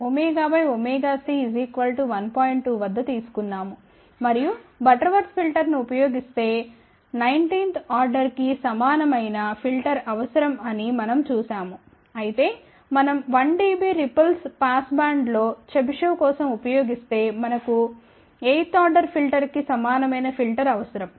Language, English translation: Telugu, 2, ok and we had seen that if we use Butterworth filter we need a filter order equal to 19, whereas if we use 1 dB ripple in the passband for Chebyshev then we need a filter order equal to 8 as I mentioned that if you take this as 0